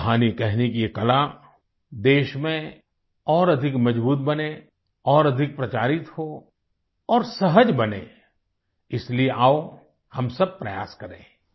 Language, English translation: Hindi, May this art of storytelling become stronger in the country, become more popularized and easier to imbibe This is something we must all strive for